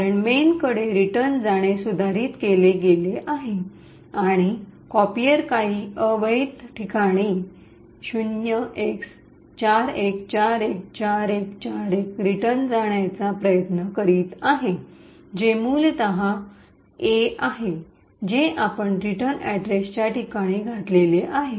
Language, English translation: Marathi, This is because the return to main has been modified and the copier is trying to return to some invalid argument at a location 0x41414141 which is essentially the A’s that you are inserted in the return address location and which has illegal instructions